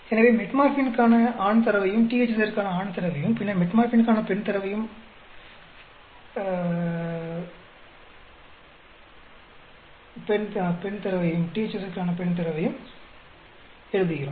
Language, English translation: Tamil, So, we write down the male data for Metformin, male data for THZ, and then we have the female data for Metformin, and female data